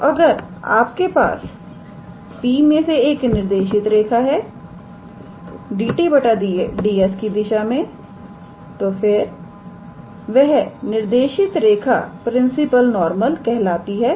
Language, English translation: Hindi, So, if you have a directed line through P in the direction of dt ds, then that directed line will be called as a principal normal